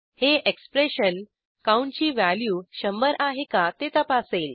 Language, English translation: Marathi, This expression checks whethe count is equal to hundred